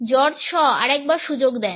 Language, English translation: Bengali, George Shaw give the another chance